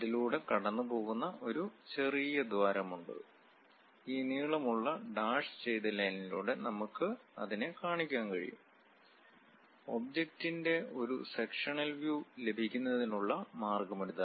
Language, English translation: Malayalam, And there is a tiny hole passing through that, that we can represent by this long dash dashed line; this is the way we get a sectional view of the object